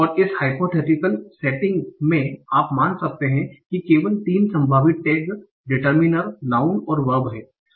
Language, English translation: Hindi, And in this hypothetical setting, you can assume that there are only three possible tags, data minor, noun, and verb